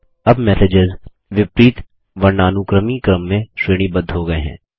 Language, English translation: Hindi, The messages are sorted in the reverse alphabetic order now